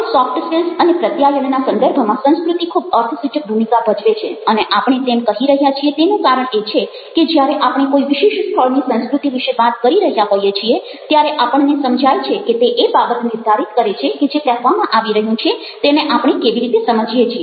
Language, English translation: Gujarati, now, culture plays a very significant role in the context of soft skills and communication, and the reason we are talking about that is because, ah, when we are talking about culture of a particular place, we realize that it is ah, it is something ah which determines how we understand what are being said